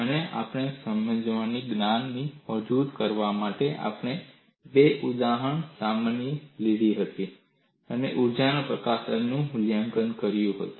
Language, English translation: Gujarati, To form up our knowledge of understanding, we have taken up two example problems and evaluated the energy release rate of this